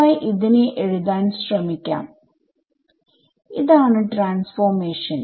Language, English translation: Malayalam, So, x y let us try to write this out this is the transformation